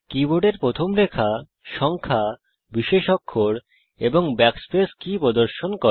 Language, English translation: Bengali, The first line of the keyboard displays numerals, special characters, and the Backspace key